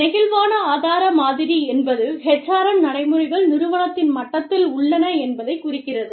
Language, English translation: Tamil, Flexible resourcing model refers to, a model in which, the HRM practices exist, at the level of the firm